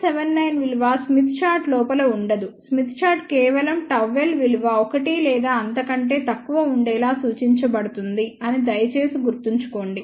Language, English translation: Telugu, 79 will not be within the smith chart, please remember that smith chart only represents gamma less than or equal to 1